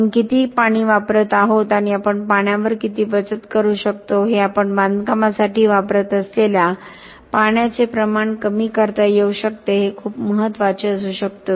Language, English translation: Marathi, How much of water we are using up and can we save on water can be reduced the amount of water that we are using for construction could be very very important